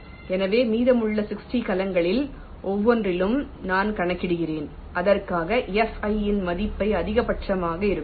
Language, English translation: Tamil, so so i calculate for each of the remaining sixty cells for which the value of fi is coming to be maximum